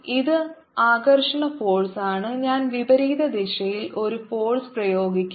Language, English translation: Malayalam, i'll be applying a force in the opposite direction